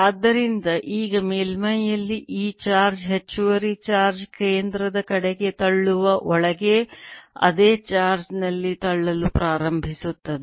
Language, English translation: Kannada, so now this charge, extra charge in the surface will start pushing in the same charge inside, pushing towards center